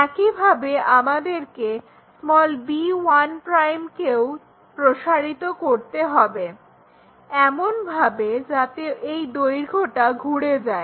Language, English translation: Bengali, Similarly, we have to extend b 1' in such a way that this length will be rotated